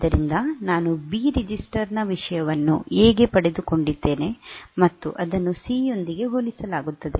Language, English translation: Kannada, So, I have got the content of B register into a and that is compared with C